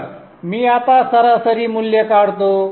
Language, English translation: Marathi, So let me now draw the average value